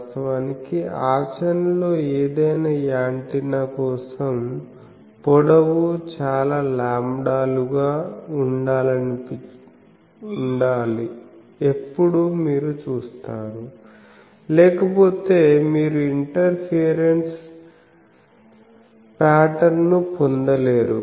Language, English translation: Telugu, Actually for any practical antenna, you always said that the dimensions that should be several lambdas long; otherwise you do not get the interference pattern